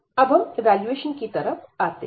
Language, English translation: Hindi, Now, coming to the evaluation